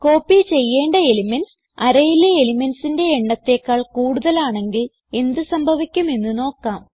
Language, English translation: Malayalam, Let us see what happens if the no.of elements to be copied is greater than the total no.of elements in the array